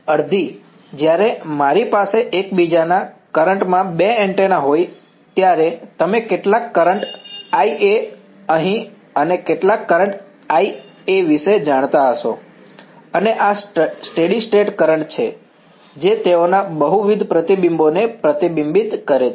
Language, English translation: Gujarati, Half when I have two antennas in the present of each other there is going to be you know some current, I A over here and some current I B over here and these are steady state currents after all reflect multiple reflections they have